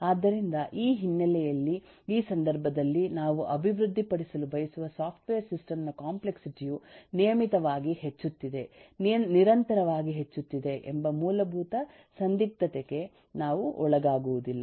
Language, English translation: Kannada, so in this context, eh, in this background, eh we are not posed with eh fundamental dilemma that the complexity of the software system that eh we want to develop is regularly increasing, constantly increasing, and but all one limitations are fixed